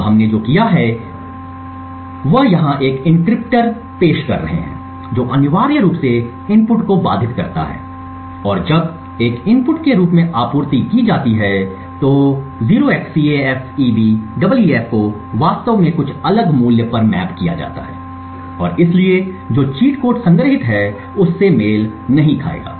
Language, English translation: Hindi, Now what we have done is we have introduce an encryptor over here which essentially obfuscates the input and 0xCAFEBEEF when supplied as an input is actually mapped to some other totally different value and therefore will not match the cheat code which is stored and therefore the attacker will not be able to control this multiplexer as per the wishes